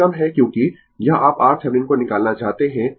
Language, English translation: Hindi, This is under because, this you want to find out R Thevenin